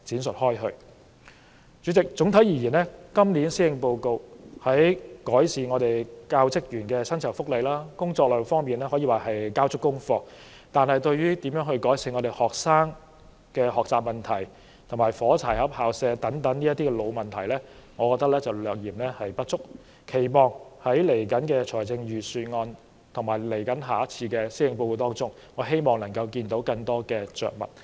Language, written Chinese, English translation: Cantonese, 主席，整體而言，今年施政報告在改善教職員薪酬福利和工作量方面可說是交足功課，但對於如何改善學生的學習問題，以及"火柴盒校舍"等老問題，我認為略嫌不足，並期望在接下來的財政預算案和下次的施政報告中，會有更多的着墨。, President on the whole the Policy Address is able to deliver in improving the salaries and remunerations of the teaching force and alleviate their workload . But in my opinion it still has some room for improvement in addressing such old issues as how to improve the student learning problems and the matchbox school premises . I anticipate that the upcoming Budget and the next Policy Address will touch more on these issues